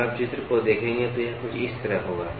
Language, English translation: Hindi, If you look at the figure, so it will be something like this